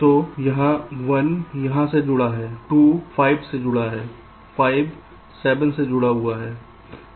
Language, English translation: Hindi, ok, so one is connected to here, two is connected to five and five is connected to seven